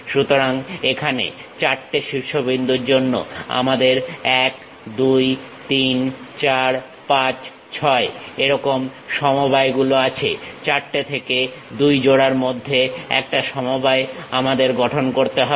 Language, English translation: Bengali, So, here for four vertices, we have a combination like 1 2 3 4 5 6 combinations we have; is a combination in between two pairs from out of 4 we have to construct